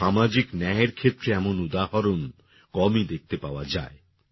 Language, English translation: Bengali, Such an example of social justice is rarely seen